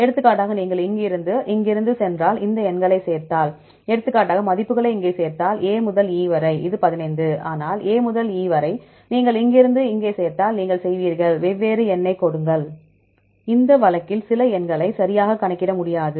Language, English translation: Tamil, For example, if you go from here to here, if you add up these numbers as well as if you add the values here for example, A to E this is 15, but A to E if you add from here to here, you will give the different number